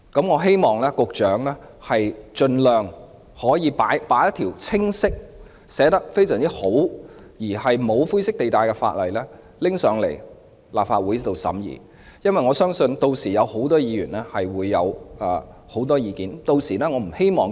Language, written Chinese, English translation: Cantonese, 我希望局長盡早向立法會量提交一條內容清晰及沒有灰色地帶的本地國歌法，相信屆時會有很多議員提出多項意見。, I hope that the Secretary will expeditiously present a bill to the Legislative Council which is clearly drafted with no grey area . I believe many Members will raise various views